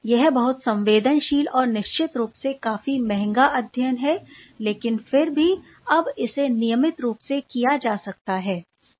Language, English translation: Hindi, And those are very sensitive strategy and of course, mind you that these are also very expensive studies, but nonetheless those can be now routinely done